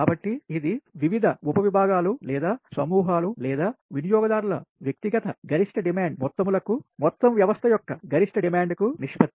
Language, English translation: Telugu, so it is the ratio of the sum of the individual maximum demand of the various sub divisions or groups or consumers to the maximum demand of the whole system, right